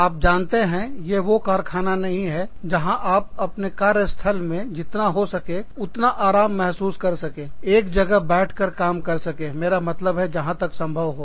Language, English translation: Hindi, You know, it is not a mill, where are, as far as possible, one should feel comfortable, sitting and working at, one's workplace, as far as, i mean, to the extent possible